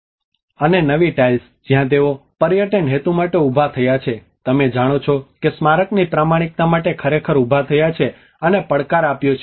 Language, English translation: Gujarati, And the new tiles: Where they have raised for the tourism purpose you know that have actually raised and challenge to the authenticity of the monument